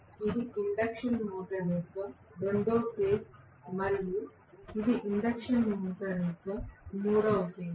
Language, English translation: Telugu, This is the second phase of the induction motor and this is the third phase of the induction motor